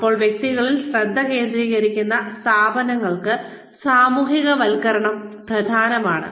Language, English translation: Malayalam, Now, for organizations, that focus on individuals, socialization is important